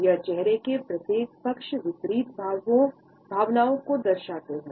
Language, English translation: Hindi, It shows opposite emotions on each side of the face